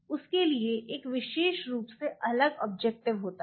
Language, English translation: Hindi, For that you have a specifically different objective